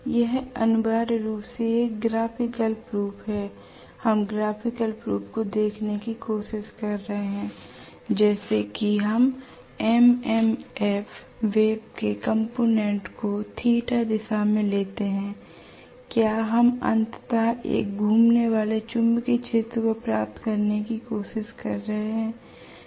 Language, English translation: Hindi, This is essentially a graphical proof, we are trying to look at the graphical proof as to if we take the component of the MMF wave along a direction theta, are we trying to get ultimately you know a revolving magnetic field at all